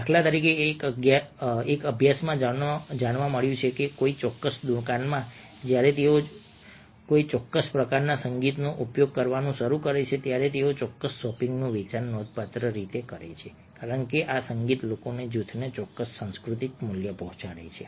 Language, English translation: Gujarati, for instance, there was it was a study found that in a particular shop, a, when they started using a particular kind of music they sell of the particular shopping in increased significantly because this music conveyed a particular cultural value to the group of people